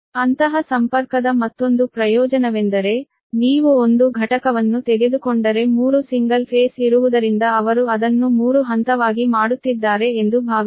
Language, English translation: Kannada, another advantage of such connection is that suppose if you take one unit because three single phase are there, they are making it as three phase